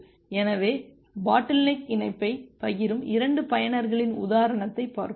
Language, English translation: Tamil, So, we are taking an example of 2 users who are sharing the bottleneck link